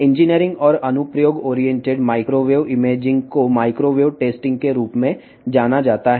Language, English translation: Telugu, Engineering and application oriented microwave imaging is known as the microwave testing